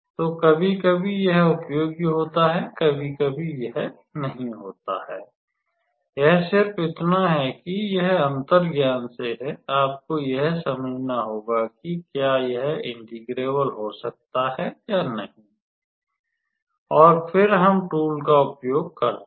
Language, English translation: Hindi, So, sometimes it is useful sometimes it is not, it is just that it is from the intuition you have to understand whether the integral can be integrable or not and then, we use the tool